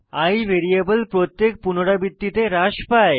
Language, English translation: Bengali, The variable i gets decremented in every iteration